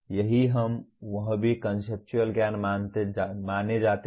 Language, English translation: Hindi, That is what we/ that also is considered conceptual knowledge